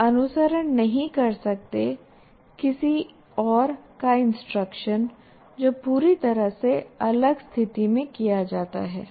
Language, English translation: Hindi, You cannot follow somebody else's instruction which is done in entirely different situation